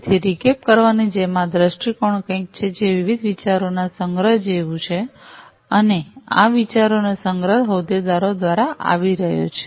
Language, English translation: Gujarati, So, just as a recap this viewpoint is something, which is like a collection of different ideas and this collection of ideas are coming from the stakeholders